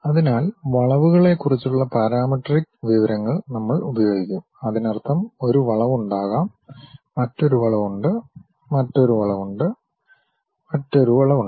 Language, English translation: Malayalam, So, where parametric information about curves we will use; that means, there might be a curve, there is another curve, there is another curve, there is another curve